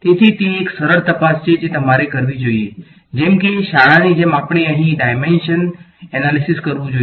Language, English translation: Gujarati, So, that is one simple check that you should do, like in school we should do dimensional analysis right